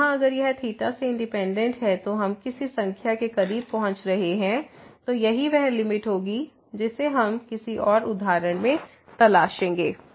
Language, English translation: Hindi, So, here if it is independent of theta we are approaching to some number then that would be the limit we will explore this in some more example